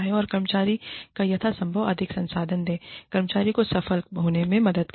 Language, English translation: Hindi, And, give the employee, as many resources as possible, and help the employee, succeed